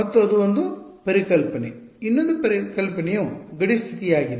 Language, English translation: Kannada, And that is one concept, the other concept was the boundary condition